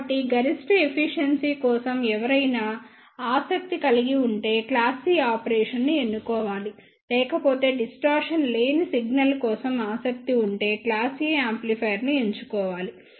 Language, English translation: Telugu, So, one should choose the class C operation if one is interested for the maximum efficiency, and otherwise if one is interested for the distortion free signal then that person should go for the class A amplifier